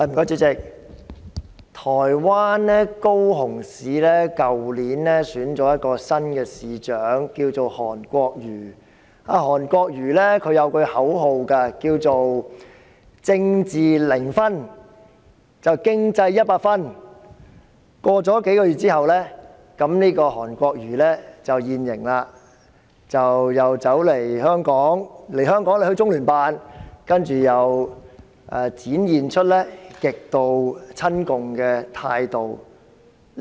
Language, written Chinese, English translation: Cantonese, 主席，台灣高雄市去年選出新市長韓國瑜，他有一句口號是"政治零分、經濟一百分"，但他在數個月後便"現形"，他來香港時到訪中央人民政府駐香港特別行政區聯絡辦公室，展現出極度親共的態度。, President HAN Kuo - yu who was elected as the new mayor of Kaohsiung City Taiwan last year has put forward a slogan of 100 percent economy zero percent politics . Yet he has shown his true colours after just a few months . When he visited the Liaison Office of the Central Peoples Government in the Hong Kong Special Administrative Region during his trip to Hong Kong he demonstrated an extremely pro - communist attitude